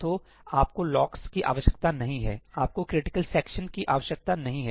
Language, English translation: Hindi, So, you do not need locks, you do not need critical sections